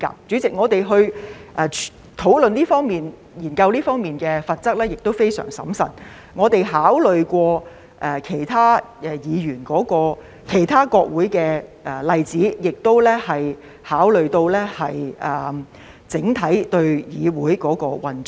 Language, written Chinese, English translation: Cantonese, 主席，我們在討論和研究這方面的罰則時也相當審慎，我們考慮過其他國會的例子，亦考慮到整體議會的運作。, President we were rather cautious when discussing and studying the penalties in this aspect . We have considered not only the examples of other parliaments but also the operation of the legislature as a whole